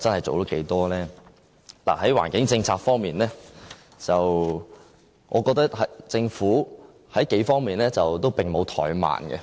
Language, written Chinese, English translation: Cantonese, 在環境政策方面，我覺得政府在幾方面都沒有怠慢。, In the area of environmental protection I see no sign of slowdown in the implementation of some environmental - friendly policies